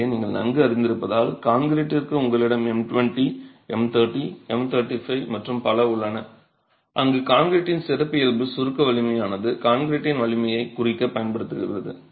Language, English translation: Tamil, So, as you are very familiar for concrete you have M20, M30, M 35 and so on where the characteristic compressive strength of concrete is used to designate the strength of concrete, the class of concrete